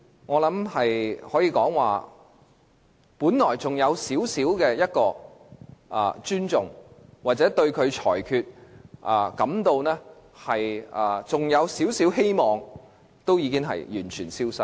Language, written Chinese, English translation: Cantonese, 我可以說句，我本來對主席還有一點尊重，對他改變裁決還心存希望，但現在已完全消失。, However after this incident with regard to the President I I can say that originally I still had some respect for the President and still held some hope that he would change his rulings but now this has disappeared completely